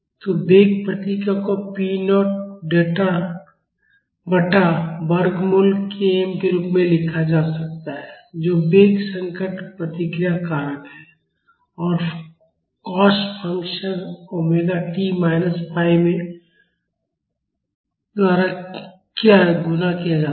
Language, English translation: Hindi, So, the velocity response can be written as p naught by root k m Rv which is the velocity distress response factor and multiplied by the cos function in omega t minus phi